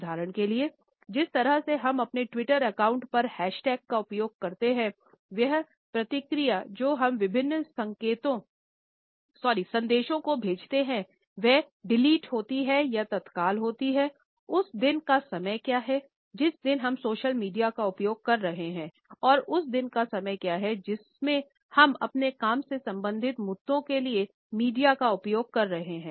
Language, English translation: Hindi, For example, the way we use hash tags on our Twitter account, the response which we send to different messages is delete or is it immediate, what is the time of the day during which we are using the social media and what is the time of the day in which we are using the media for our work related issues